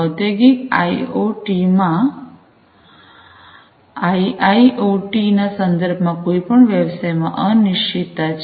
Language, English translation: Gujarati, In the Industrial IoT, IIoT context, for any business, there is uncertainty